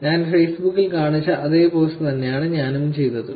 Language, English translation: Malayalam, I did the same post that I showed on Facebook